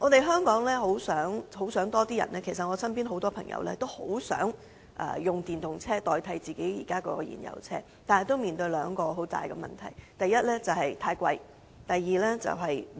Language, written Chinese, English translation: Cantonese, 香港很多市民，包括我身邊的朋友，也很希望可以轉用電動車代替燃油車，但他們面對兩大問題：第一，價錢昂貴；及第二，充電設施不足。, Many people in Hong Kong including friends around me want to switch to EVs and replace their fuel - engined vehicles . But they have two issues first EVs are too expensive; and second charging facilities are inadequate